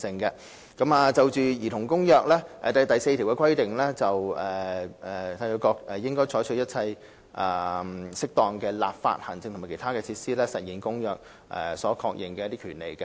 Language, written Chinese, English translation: Cantonese, 《兒童權利公約》第4條規定："締約國應採取一切適當的立法、行政和其他措施以實現本公約所確認的權利。, Article 4 of the Convention on the Rights of the Child provides States Parties shall undertake all appropriate legislative administrative and other measures for the implementation of the rights recognized in the present Convention